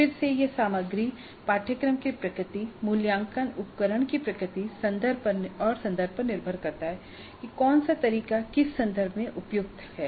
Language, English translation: Hindi, Again it depends upon the content, the nature of the course, the nature of the assessment instrument and the context and where something is more suitable than some other kind of assessment item